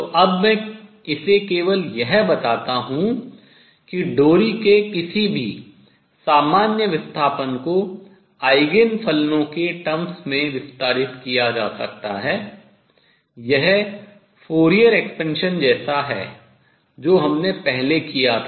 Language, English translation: Hindi, So, now, let me just state this any general displacement of the string can be expanded in terms of the Eigen functions this is like the Fourier expansion we did earlier